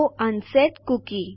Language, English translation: Gujarati, So unset a cookie